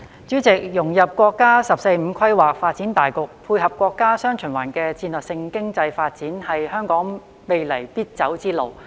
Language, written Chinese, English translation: Cantonese, 主席，融入國家"十四五"規劃發展大局，配合國家"雙循環"的戰略性經濟發展，是香港未來必走之路。, President in the future Hong Kong is bound to go along the path of integrating into the overall development of the National 14th Five - Year Plan to complement the national dual circulation strategic economic development